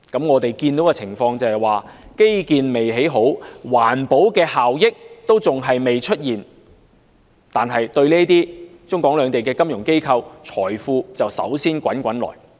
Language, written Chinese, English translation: Cantonese, 我們看到的情況是，基建未興建好，環保效益尚未出現，但對於中港兩地的金融機構，財富便率先滾滾而來。, What we see is that for the financial institutions of both the Mainland and Hong Kong money will keep pouring in well before any infrastructure or environmental benefit comes along